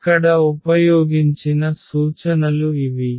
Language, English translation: Telugu, So, these are the references used